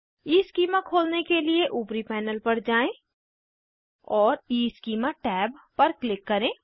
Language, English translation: Hindi, To open EEschema, go to the top panel and Click on EEschema tab